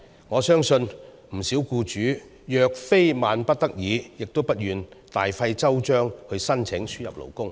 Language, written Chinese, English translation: Cantonese, 我相信不少僱主若非萬不得已，也不願大費周章申請輸入勞工。, I believe that many employers would rather not go to the trouble of applying for importation of labour unless absolutely necessary